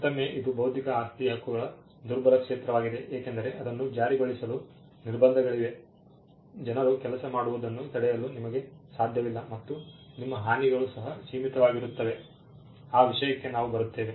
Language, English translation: Kannada, And again this is the weakest of intellectual property rights, because there are restrictions on enforcing it, you cannot stop people from doing things and your damages are also limited we will get to that